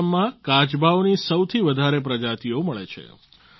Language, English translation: Gujarati, Assam is home to the highest number of species of turtles